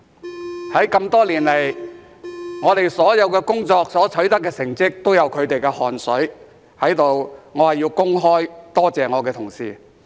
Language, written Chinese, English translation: Cantonese, 在這麼多年來，我們所有的工作所取得的成績均有他們的汗水，在此我要公開多謝我的同事。, I would like to thank them publicly as all our achievements over the years would not have been possible without their hard work